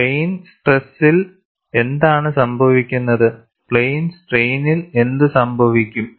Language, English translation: Malayalam, What happens in plane stress and what happens in plane strain